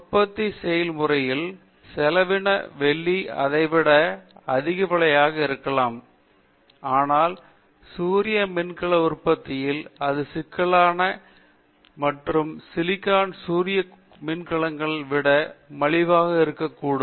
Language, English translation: Tamil, In the manufacturing process, cost process silver may be costlier than that, but in the solar cell manufacturing thing it can be cheaper than the silicon solar cells